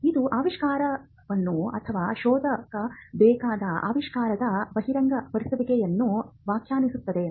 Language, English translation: Kannada, It defines the invention, or the disclosure of the invention which needs to be searched